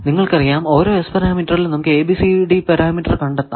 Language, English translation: Malayalam, That if you know S parameter, how to find ABCD parameter you can find this